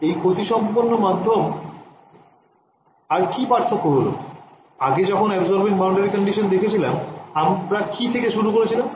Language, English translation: Bengali, So, what is different is it is a lossy medium; previously when we had looked at absorbing boundary condition what did we start with